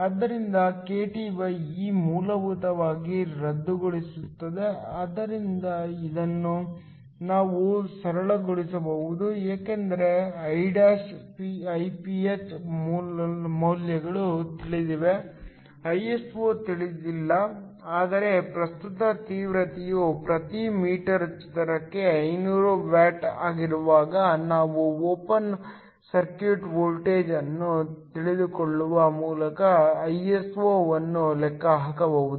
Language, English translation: Kannada, So, kTe will essentially cancel, this we can simplify because the values of Iph' , Iph are known; Iso is not known, but we can calculate Iso by knowing the open circuit voltage when the current intensity is 500 watts per meter square